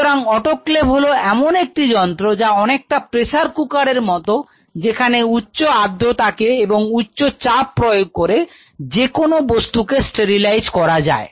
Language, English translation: Bengali, So, autoclave is something like a pressure cooker, where at high moisture and high pressure you sterilize anything